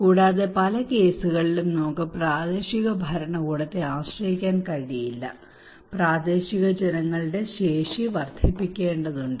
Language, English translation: Malayalam, Also in many cases we cannot rely simply on the local government we have to enhance the capacity of the local people